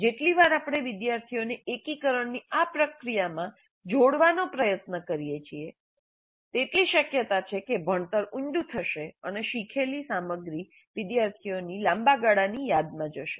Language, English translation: Gujarati, The more often we try to have the students engage in this process of integration, the more likely that learning will be deep and the material learned would go into the long term memory of the students